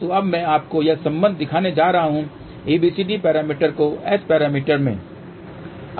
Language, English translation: Hindi, So, now, I am going to show you the relation which is ABCD to S parameters